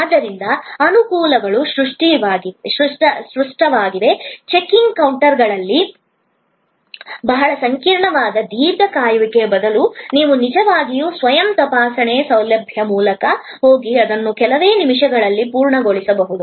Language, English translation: Kannada, So, the advantages are obvious, that instead of a very complicated long wait at the checking counter, you can actually go through the self checking facility and get it done in a few minutes